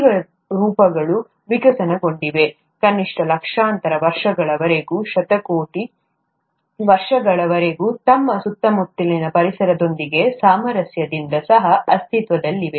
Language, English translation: Kannada, Life forms have evolved, co existed in harmony with their surroundings for millions of years atleast, or even billions of years